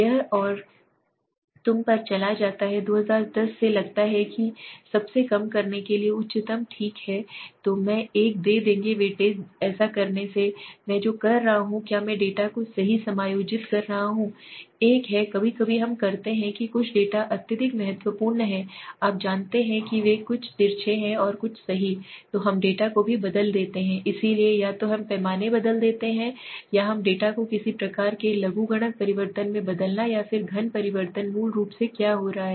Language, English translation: Hindi, The and it goes on you know from suppose 2010 so lowest to highest okay so I will give a weightage so by doing this what I am doing is I am adjusting the data right, there is one sometimes we do certain data are highly in very critical you know they are very skewed and something right so we transform also the data, so the either we will change the scale or we transform the data into some kind of a logarithm transformation or else cubical transformation so what is happening basically